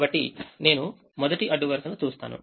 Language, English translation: Telugu, so i look at the first row